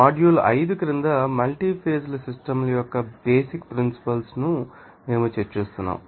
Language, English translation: Telugu, So, we are discussing about the basic principles of multi phase systems under the module 5